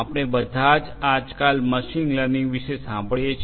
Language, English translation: Gujarati, All of us we have heard about machine learning nowadays